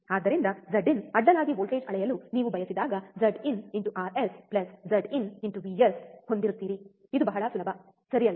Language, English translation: Kannada, So, when you want to measure a voltage across Z in, you have Z in Rs plus Z in into vs it is very easy, right